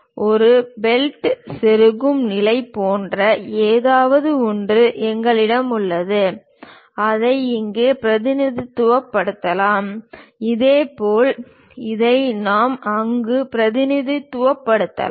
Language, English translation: Tamil, And we have something like a bolt insertion kind of position, that we can represent it here; similarly, this one we can represent it there